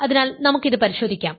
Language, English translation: Malayalam, So, let us check this